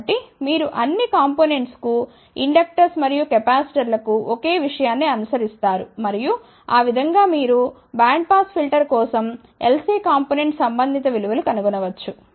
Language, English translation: Telugu, So, you follow the same thing for inductors and capacitors for all these components and that way you can find out, the corresponding values of L C components for bandpass filter